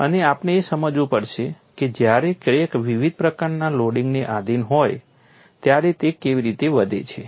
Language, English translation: Gujarati, And we have to understand how crack grows when it is subjected to different types of loading